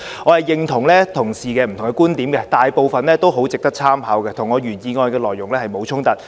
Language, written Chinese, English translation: Cantonese, 我認同同事的不同觀點，大部分很值得參考，與我原議案的內容沒有衝突。, I agree to Members various viewpoints . Most of the viewpoints can serve as a valuable source of reference and they are not in conflict with the contents of my original motion